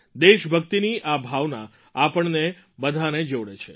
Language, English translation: Gujarati, This feeling of patriotism unites all of us